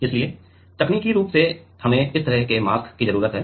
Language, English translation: Hindi, So, technically we need a mask like this